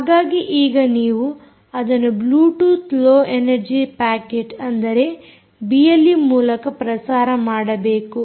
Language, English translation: Kannada, right, so you have to send it out as a bluetooth low energy packet into the into the b l e transmission